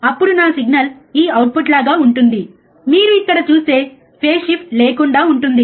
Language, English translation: Telugu, Then my signal is like this output is also similar which you see here which is without any phase shift